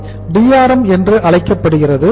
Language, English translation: Tamil, This is called as Drm